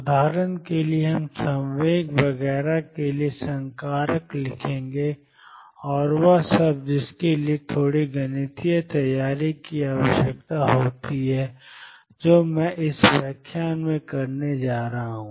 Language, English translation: Hindi, For example, we will write the operators for the momentum and so on, and all that requires a little bit of mathematical preparation which I am going to do in this lecture